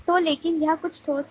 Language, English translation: Hindi, so but it is something concrete